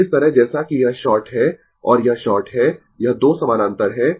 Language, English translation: Hindi, And this way, as this is short and this is short this 2 are in parallel